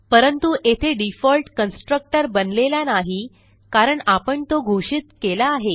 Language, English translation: Marathi, But here no default constructor is created because we have defined a constructor